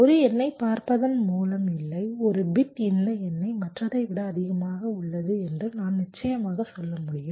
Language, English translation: Tamil, no, just by looking at one number, one bit, i can definitely say that this number is greater than the other